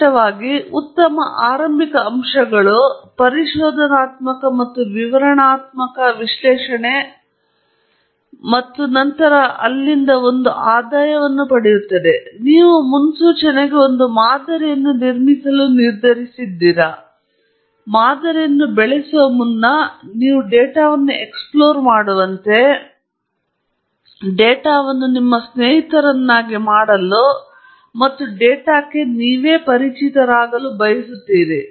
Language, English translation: Kannada, Typically, good starting points are exploratory and descriptive analysis and then one proceeds from there; even if you have decided that you are going to build a model for prediction and so on, it is recommended that you explore the data, you make friends with the data, and you familiarize yourself with the data, before you proceed to developing a model, for example